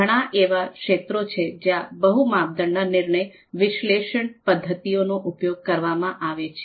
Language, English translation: Gujarati, So, there are number of fields where the multi criteria decision making decision analysis methods have been used